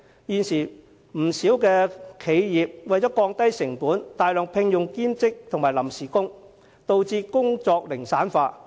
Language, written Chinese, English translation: Cantonese, 不少企業為了降低成本，大量聘用兼職及臨時工人，導致工作零散化。, Quite many enterprises recruit a large number of part - time and temporary workers thereby resulting in fragmentation of work